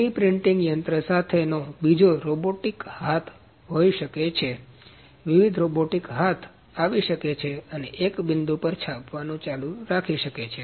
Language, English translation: Gujarati, So, another with 3D printing machine can be with the robotic arm different robotic arms can come and keep printing at one point